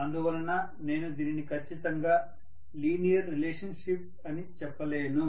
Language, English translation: Telugu, So I cannot say it is exactly a linear relationship